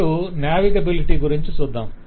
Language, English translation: Telugu, let us see the question of navigability